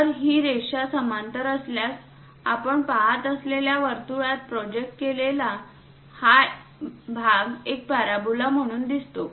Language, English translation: Marathi, So, this line, this line if it is parallel; the projected one this part in a circle we see as a parabola